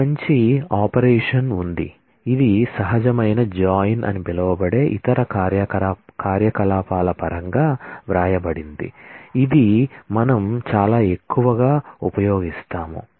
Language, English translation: Telugu, There is a nice operation which is a derived 1 which can be written in terms of other operations which is called a natural join which we will use very heavily